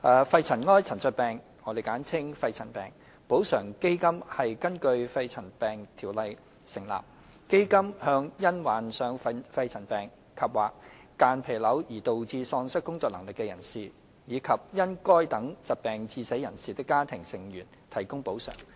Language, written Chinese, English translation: Cantonese, 肺塵埃沉着病補償基金根據《條例》成立，向因患上肺塵埃沉着病及/或間皮瘤而導致喪失工作能力的人士，以及因該等疾病致死人士的家庭成員提供補償。, The Pneumoconiosis Compensation Fund the Fund is set up under PMCO to provide payment of compensation to persons and their family members in respect of incapacity or death resulting from pneumoconiosis andor mesothelioma